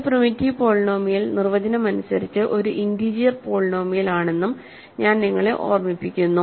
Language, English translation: Malayalam, I will also remind you that a primitive polynomial is by definition an integer polynomial